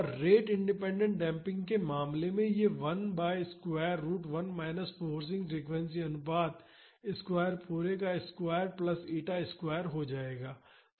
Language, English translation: Hindi, And, in the case of rate independent damping this will become 1 by square root of 1 minus frequency ratio square the whole square plus eta square